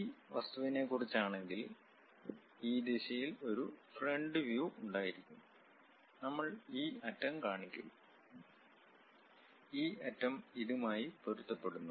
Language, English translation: Malayalam, And if it is about this object, having a front view in this direction; we will represent this end, this end matches with this